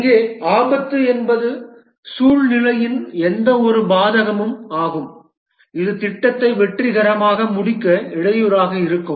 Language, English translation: Tamil, Here the risk is any adverse circumstance that might hamper the successful completion of the project